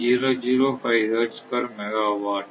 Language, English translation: Tamil, 005 hertz per megawatt